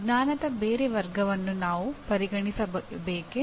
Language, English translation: Kannada, Should we really consider any other category of knowledge